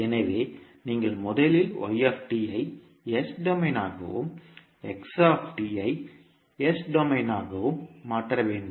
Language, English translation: Tamil, So you have to first convert y t into s domain and x t into s domain